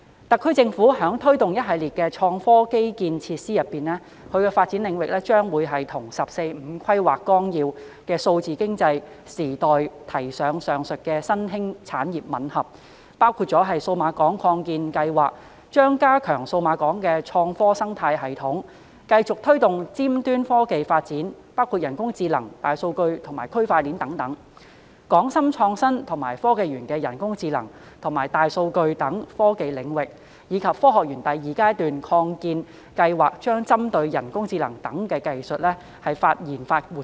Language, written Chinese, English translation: Cantonese, 特區政府正推動一系列創科基建設施，而發展領域將與《十四五規劃綱要》就數字經濟時代提出上述的新興產業吻合，包括數碼港擴建計劃將加強數碼港的創科生態系統，並繼續推動尖端科技發展，包括人工智能、大數據和區塊鏈等；港深創新及科技園將繼續推動人工智能及大數據等科技領域，以及香港科學園第二階段擴建計劃將針對人工智能等技術所需的相關研發活動。, The SAR Government is taking forward a series of innovation and technology IT infrastructure initiatives and the areas of development dovetail with the aforesaid emerging industries mentioned in the 14th Five - Year Plan in the age of digital economy including that the Cyberport expansion project will strengthen its IT ecosystem and continue to drive the development of cutting - edge technologies such as AI big data and blockchain; the Hong Kong - Shenzhen Innovation and Technology Park will continue its drive in the technology areas such as AI and big data and the Phase 2 expansion of the Hong Kong Science Park project will focus on research and development activities necessary for technologies such as AI